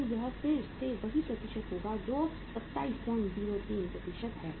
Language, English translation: Hindi, So this is going to be again the same percentage that is 27